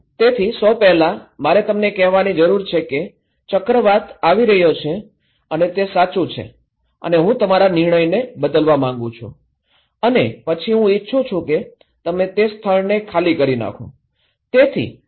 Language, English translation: Gujarati, So, first I need to tell you that cyclone is coming and that is true and I want to change your decision and then I want you to evacuate from that place okay